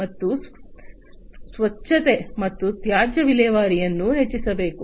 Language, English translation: Kannada, And there has to be increased cleanliness and waste disposal